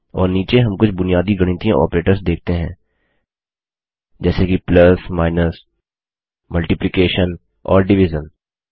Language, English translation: Hindi, And at the bottom, we see some basic mathematical operators such as plus, minus, multiplication and division